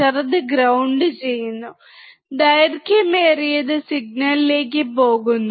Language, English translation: Malayalam, Shorter one goes to ground; Longer one goes to the signal